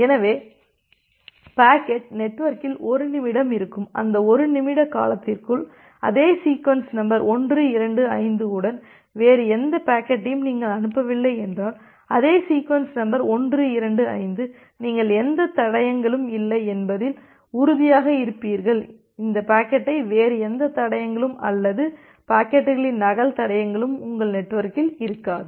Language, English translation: Tamil, So, so the packet will be there in the network for 1 minute and within that 1 minute duration, if you are not sending any other packet with the same sequence number the same sequence number 125, then you will be sure that well no traces of this packet no other traces or the duplicate traces of the packets will be there in your network